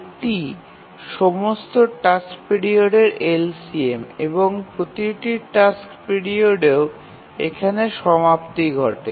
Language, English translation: Bengali, So, this is the LCM of all the task period and therefore every task period also has the ending of that has coincided here